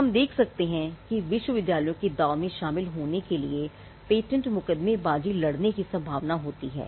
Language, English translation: Hindi, Now, we can see that because of the stakes involved universities are also likely to fight patent litigation